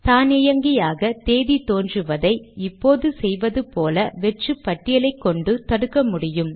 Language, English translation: Tamil, We can prevent the automatic appearance of the date with an empty list, as we do now